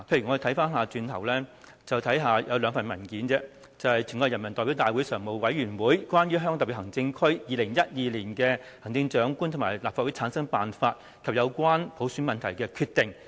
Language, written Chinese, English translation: Cantonese, 我們必須看看兩份文件，就是"全國人民代表大會常務委員會關於香港特別行政區2012年行政長官和立法會產生辦法及有關普選問題的決定"。, We should look at two papers . One of them is the Decision of the Standing Committee of the National Peoples Congress on Issues Relating to the Methods for Selecting the Chief Executive of the Hong Kong Special Administrative Region and for Forming the Legislative Council of the Hong Kong Special Administrative Region in the Year 2012 and on Issues Relating to Universal Suffrage